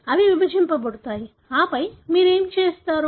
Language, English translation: Telugu, They divide and then what do you do